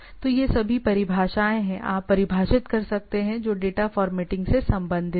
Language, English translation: Hindi, So, these are all definitions, you can define which are related to the data formatting